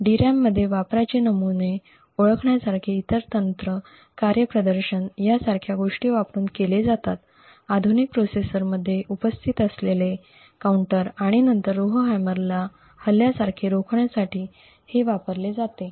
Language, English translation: Marathi, Other techniques like identifying patterns of usage in the DRAM is done using things like performance, counters present in modern processors and this is then used to prevent any Rowhammer like attacks